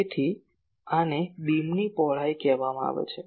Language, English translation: Gujarati, So, these is called beam width